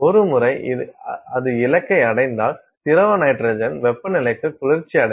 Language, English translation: Tamil, Once, it hits the target it is going to cool to liquid nitrogen temperature